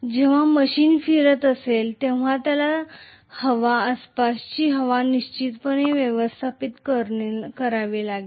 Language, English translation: Marathi, So when the machine is rotating it has to definitely displace the air, surrounding air